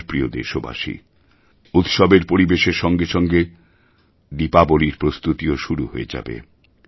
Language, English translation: Bengali, There is a mood of festivity and with this the preparations for Diwali also begin